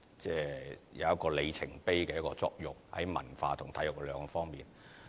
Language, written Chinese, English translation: Cantonese, 這兩個項目在文化和體育兩方面有里程碑的作用。, These two projects bear the function of being the milestones in our culture and sports